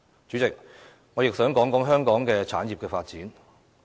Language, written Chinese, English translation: Cantonese, 主席，我亦想談談香港的產業發展。, President I would also like to talk about the development of industries in Hong Kong